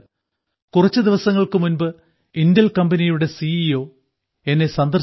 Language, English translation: Malayalam, Just a few days ago I met the CEO of Intel company